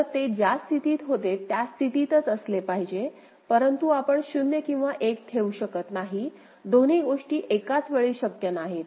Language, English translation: Marathi, So, it has to be from the state in which it goes into right, but you cannot put 0 or 1, both the things are not possible in one state